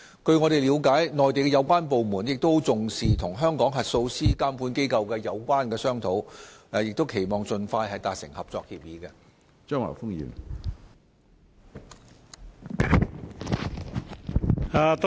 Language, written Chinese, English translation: Cantonese, 據我們了解，相關內地部門亦十分重視與香港核數師監管機構的商討，期望盡快達成合作協議。, As far as our understanding goes the relevant Mainland departments have attached a great deal of importance to their discussions with the auditor oversight bodies in Hong Kong in the hope of reaching a cooperation agreement as soon as possible